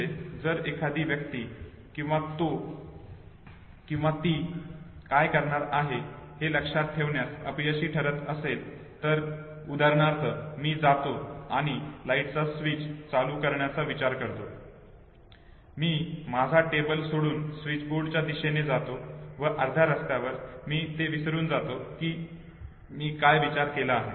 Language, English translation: Marathi, So if a person fails to remember what he or she was going to do, so say for instance I intend to go and switch on the light, I leave my table go towards the switchboard and halfway if I forget what I thought that is loss of prospective memory know